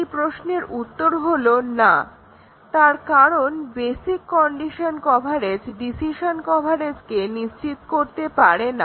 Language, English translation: Bengali, The answer is no because the basic condition coverage need not ensure decision coverage